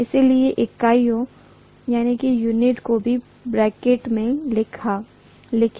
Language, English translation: Hindi, Let me write the units also in the bracket